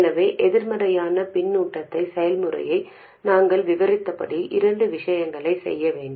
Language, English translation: Tamil, So, as we described the process of negative feedback, there are two things to be done